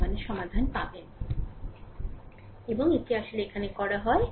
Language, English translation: Bengali, And that is actually done here; that is actually done here right